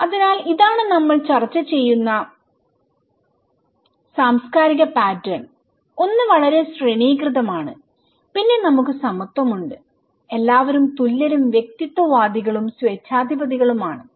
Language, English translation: Malayalam, And so, this is the cultural pattern we discussed about, one is very hierarchical then we have egalitarian, everybody is equal and individualist and authoritarian right